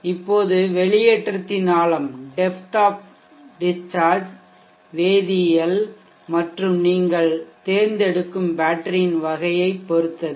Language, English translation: Tamil, Now the depth of discharge also depends upon the chemistry and the type of the battery that you will be choosing